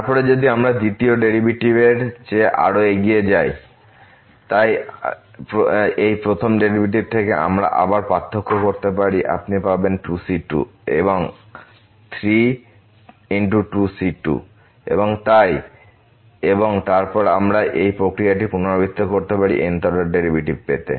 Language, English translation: Bengali, Then if we move further, than the second derivative, so out of this first derivative we can again differentiate this you will get here 3 times 2 into and so on and then we can repeat this process further to get the th order derivatives